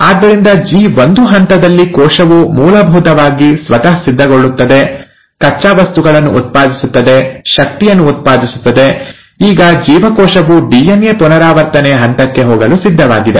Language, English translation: Kannada, So, in G1 phase, the cell is essentially preparing itself, generating raw materials, generating energy, and, so that now the cell is ready to move on to the phase of DNA replication